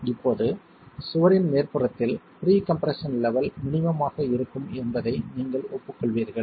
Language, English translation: Tamil, Now at the top of the wall you will agree that the pre compression levels are going to be minimum